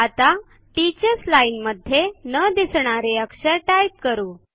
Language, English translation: Marathi, Now lets type a character that is not displayed in the teachers line